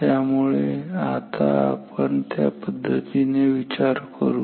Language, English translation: Marathi, So, for now let us think in that way